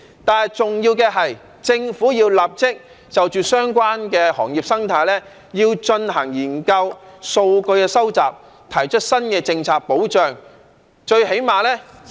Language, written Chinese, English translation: Cantonese, 但是，重要的是政府要立即就着相關的行業生態進行研究、收集數據及提出新的政策保障。, But one important point is that the Government must conduct an immediate study on the ecology of the relevant industries collect data and put forth a new policy to accord protection